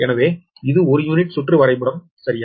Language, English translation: Tamil, so this is the per unit circuit diagram, right